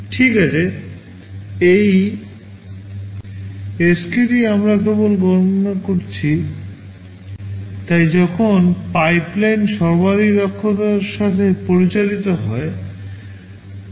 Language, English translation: Bengali, Well, this Sk we just calculated will tend to k, so that is when the pipeline is operated at maximum efficiency